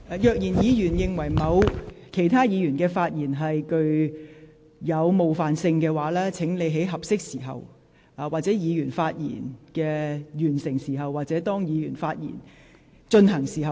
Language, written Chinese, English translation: Cantonese, 如果議員認為某議員的發言具有冒犯性，請在該位議員發言時或發言完畢的合適時間提出。, If Members think that the speech of a certain Member is offensive please timely raise a point of order while the Member is still speaking or after he finishes his speech